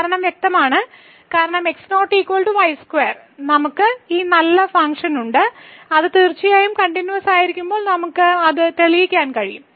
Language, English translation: Malayalam, The reason is clear, because when is not equal to we have this nice function and which is certainly continuous we can prove that